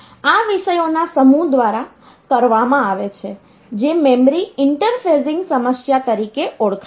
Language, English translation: Gujarati, So, this is done by the by the set of topic which is known as the memory interfacing problem